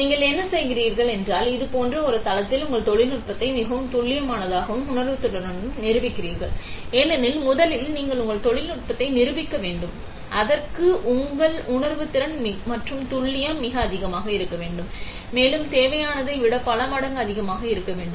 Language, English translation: Tamil, So, what you do is, you prove your technology with the most accuracy and sensitivity on a platform like this; because first of all you need to prove your technology, for that your sensitivity and accuracy has to be extremely high, and many times even more than what is required